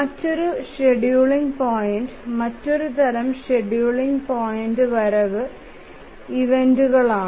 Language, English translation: Malayalam, The other scheduling point, other type of scheduling point are the arrival events